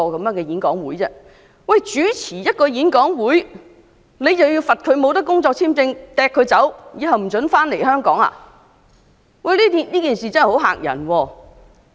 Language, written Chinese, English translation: Cantonese, 單單主持一個演講會，便要被罰不能續領工作簽證，並被驅逐及永久不准返回香港，這件事真的聳人聽聞。, It is really appalling that hosting a forum is punishable by not having his work visa renewed and being expelled from Hong Kong permanently